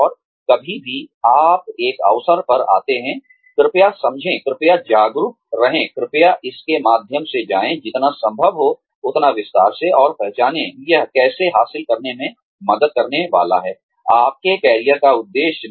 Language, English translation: Hindi, And anytime, you come across an opportunity, please understand, please be aware, please go through it, in as much detail as possible, and identify, how this is going to help you achieve, your career objective